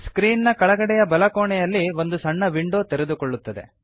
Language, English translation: Kannada, A small window opens at the bottom right of the screen